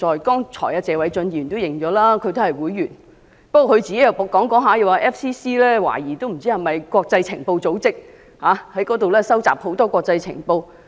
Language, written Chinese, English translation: Cantonese, 剛才謝偉俊議員也承認他是該會會員，但他發言後期卻表示懷疑香港外國記者會是國際情報組織，在本港收集國際情報。, Mr Paul TSE admitted a while ago his FCC membership but in the latter part of his speech he suspected that FCC was an international intelligence agency collecting international intelligence in Hong Kong